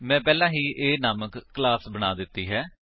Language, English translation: Punjabi, I also have a created a class named A